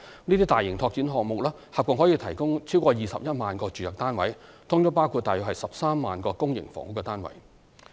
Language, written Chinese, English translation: Cantonese, 這些大型拓展項目合共可提供逾21萬個住宅單位，包括約13萬個公營房屋單位。, These major development projects can provide more than 210 000 residential units in total including about 130 000 public housing units